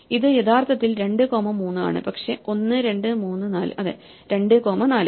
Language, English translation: Malayalam, ItÕs actually 2 comma 3, but 1, 2, 3, 4 yeah 2 comma 4